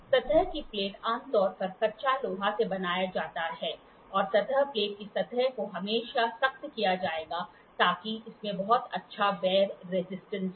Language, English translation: Hindi, Surface plate are done out of cast iron generally and the surface of the surface plate will be always hardened to so that it has very good wear resistance